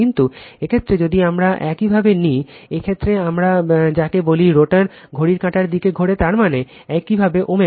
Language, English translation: Bengali, But, in this case if we take in this your, what we call in this case rotor rotating in the clockwise direction that means, this way omega right